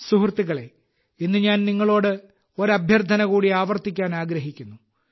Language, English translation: Malayalam, Friends, today I would like to reiterate one more request to you, and insistently at that